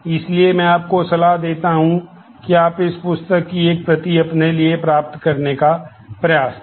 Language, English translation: Hindi, So, I advise the, that you try to get a copy of this book to yourself